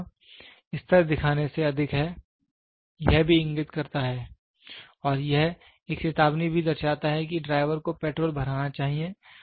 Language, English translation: Hindi, So, here more than what is the level showing, it also indicates and it also indicates an alerts the driver that petrol has to be filled